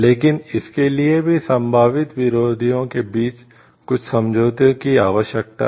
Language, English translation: Hindi, But for that also some agreement is required between the potential adversaries